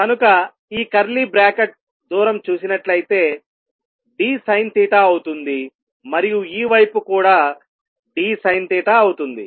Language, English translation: Telugu, So, this curly bracket distance is going to be d sin theta and on this side also is going to be d sin theta